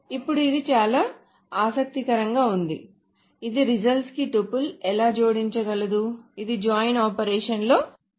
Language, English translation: Telugu, Now this seems to be very interesting that how can it add tuple to the result which is not defined as part of the joint